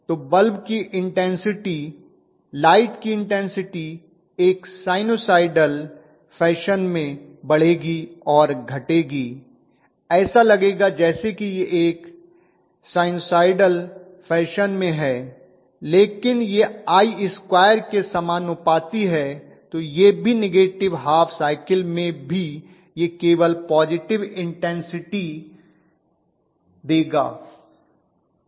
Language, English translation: Hindi, So the bulb intensity, the light intensity will increase and decrease in a sinusoidal fashion it will look as though it is in a sinusoidal fashion but it is proportional to I square